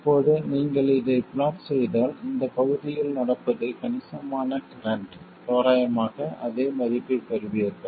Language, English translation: Tamil, Now if you do plot this, what happens is in this region where the current is substantial, you will get approximately the same value